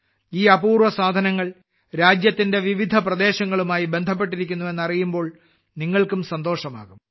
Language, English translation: Malayalam, You will also be happy to know that these rare items are related to different regions of the country